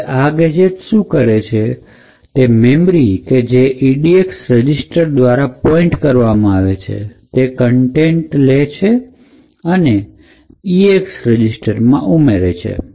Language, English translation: Gujarati, So, what this a gadget does is what we want to do, so it takes the contents of the memory location pointed to by the edx register and adds that contents into the eax register